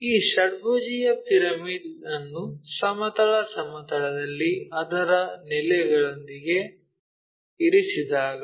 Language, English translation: Kannada, So, when this pyramid, hexagonal pyramid resting on horizontal plane with its base